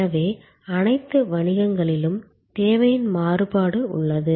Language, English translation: Tamil, So, variability of demand is there in all business